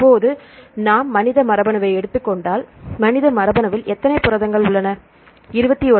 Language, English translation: Tamil, If we take the human genome currently there are how many proteins in the human genome, how many proteins